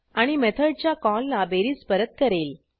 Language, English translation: Marathi, And the sum is returned to the method call